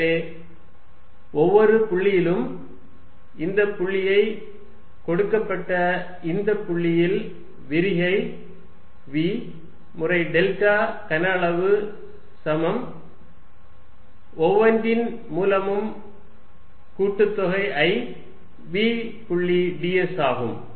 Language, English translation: Tamil, So, that at each point let us say this point at this given point I have divergence of v times delta volume is equal to summation i v dot d s through each